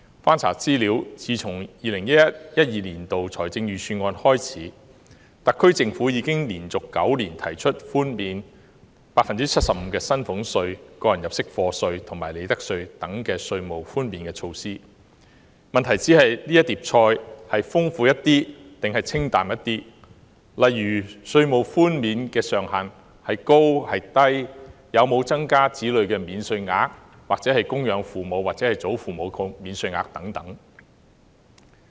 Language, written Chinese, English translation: Cantonese, 翻查資料，自 2011-2012 年度的預算案開始，特區政府已連續9年提出寬免 75% 的薪俸稅、個人入息課稅及利得稅等措施，問題只是這碟菜是豐富點還是清淡點，例如稅務寬免的上限孰高孰低、有否增加子女免稅額或供養父母或祖父母的免稅額等。, According to the information I have looked up since the 2011 - 2012 Budget the SAR Government has proposed such measures as reductions of salaries tax tax under personal assessment and profits tax by 75 % for nine years in a row . The difference lies only in whether they are dished out in a generous or not - so - generous manner such as whether a high or low ceiling is imposed on such tax reductions or whether there is an increase in child allowance or dependent parent or grandparent allowances